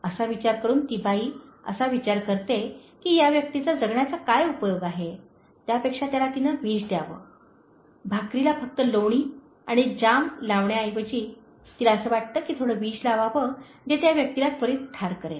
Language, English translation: Marathi, Thinking so, the lady thinks that, what is the use of this person living, so rather she should give poison, okay, she instead of putting only butter and jam she thinks that she will add some poison that will kill the person immediately